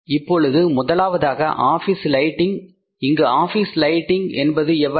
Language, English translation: Tamil, Now, first is the office lighting